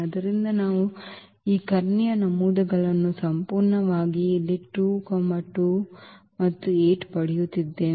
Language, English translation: Kannada, So, we are getting these diagonal entries absolutely the same here 2 2 8